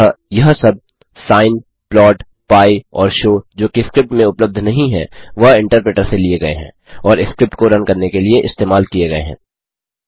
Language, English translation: Hindi, Hence all these sin, plot, pi and show which are not available in script, are taken from the interpreter and used to run the script